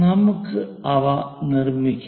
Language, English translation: Malayalam, Let us construct those